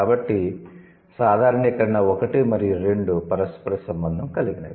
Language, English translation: Telugu, So, generalization one and two, they are related to each other